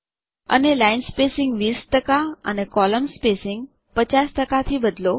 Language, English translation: Gujarati, And change the line spacing to 20 percent and column spacing to 50 percent